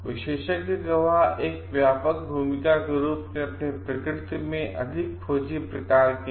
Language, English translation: Hindi, Expert witnesses as a wider role they are more a sort of investigative in nature